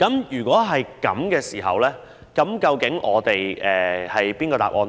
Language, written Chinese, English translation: Cantonese, 如果是這樣，究竟哪一種做法較為合理呢？, If such being the case which is a more reasonable approach?